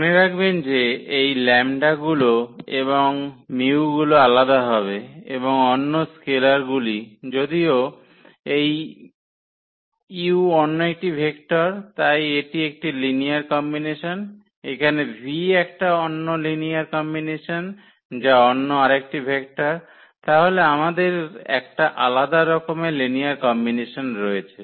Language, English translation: Bengali, Note that these lambdas and this mus will be different and the other scalars, but this u is another vector so, this is a linear combination, a different linear combination here v is another vector so, we have a different linear combination there